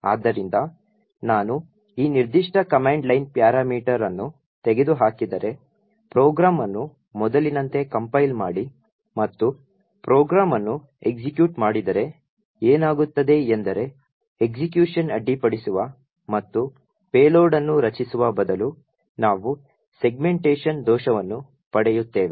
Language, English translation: Kannada, So, if I remove this particular command line parameter, compile the program as before and execute the program, what happens is that instead of subverting execution and creating the payload we get a segmentation fault